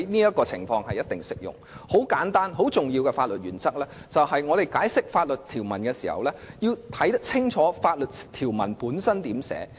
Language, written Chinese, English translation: Cantonese, 有一項很簡單和很重要的法律原則，就是在解釋法律條文時，我們必須清楚研究法律條文的寫法。, There is a very simple and important legal principle that is when interpreting any legal provision we must clearly examine the drafting of the provisions